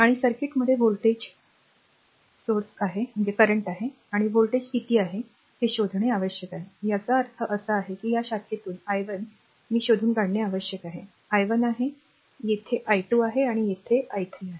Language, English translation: Marathi, And you have to you have to your what you call you have to find out the current and voltage is in the circuit; that means, you have to find out your i 1 I ah this current through this branch is i 1, this is here here it is i 2 and here it is your i 3, right